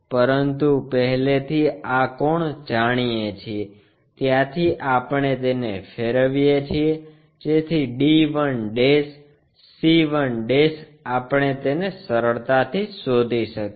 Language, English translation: Gujarati, But already this inclination angle we know, from there we rotate it, so that d 1' c 1' we can easily locate it